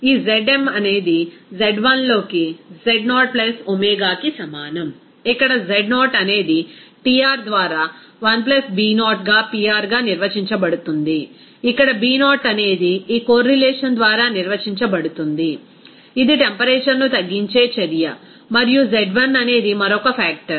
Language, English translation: Telugu, This Zm will be is equal to Z0 + omega into Z1, where Z0 is defined as 1 + B0 into Pr by Tr, where B0 is defined by this correlation which is a function of reduce temperature and Z1 is another factor that is a function of ratio of reduced pressure and reduced temperature, whereas this B1 is coefficient, that coefficient is a function of reduced temperature which can be calculated from this correlation